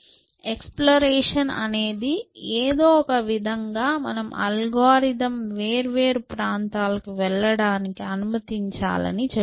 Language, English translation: Telugu, Exploration simply says that somehow you must allow the algorithm to go into different areas